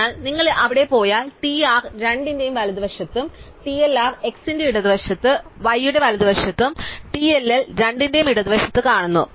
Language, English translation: Malayalam, So, if you go there we find that TR is to the right of both, TLR is to the left of x right of y and TLL is to the left of both